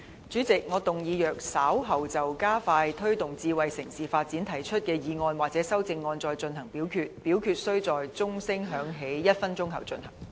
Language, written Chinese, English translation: Cantonese, 主席，我動議若稍後就"加快推動智慧城市發展"所提出的議案或修正案再進行點名表決，表決須在鐘聲響起1分鐘後進行。, President I move that in the event of further divisions being claimed in respect of the motion on Expediting the promotion of smart city development or any amendments thereto this Council do proceed to each of such divisions immediately after the division bell has been rung for one minute